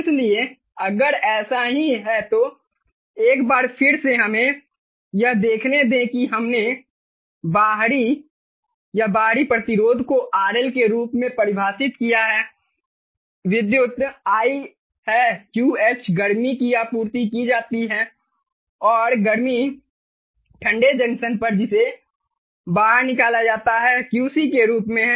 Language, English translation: Hindi, we have defined the outer ah, or the external resistance, as rl, the current is i, the heat that is supplied is q, h and the heat that is rejected, the cold junction, as qc